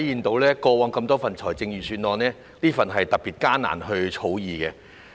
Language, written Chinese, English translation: Cantonese, 比較過往多份預算案，這份預算案特別難以草擬。, Compared with the previous budgets this one was especially difficult to draft